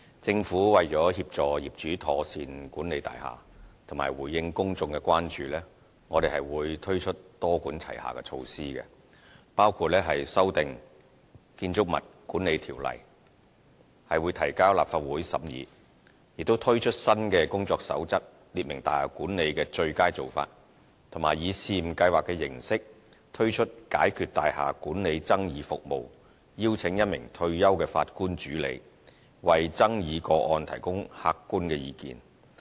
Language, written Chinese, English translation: Cantonese, 政府為協助業主妥善管理大廈及回應公眾的關注，我們會推出多管齊下的措施，包括修訂《建築物管理條例》提交立法會審議；推出新的《工作守則》列明大廈管理的"最佳做法"，以及以試驗計劃形式，推出"解決大廈管理爭議服務"，邀請1名退休法官主理，為爭議個案提供客觀意見。, To assist owners in proper building management and to address public concerns the Government will implement multi - pronged initiatives including the submission of proposed amendments to the Building Management Ordinance to the Legislative Council for deliberation; publishing new Codes of Practice to set out the best practices of building management; and launching the Building Management Dispute Resolution Service to be steered by a retired judge on a pilot basis to provide objective opinions on dispute cases